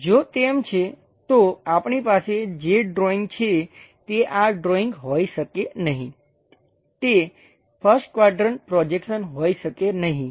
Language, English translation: Gujarati, If that is the case, this cannot be this drawing whatever the drawing we have, that cannot be a first quadrant projection